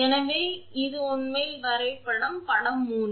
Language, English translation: Tamil, So, this is actually the diagram, figure 3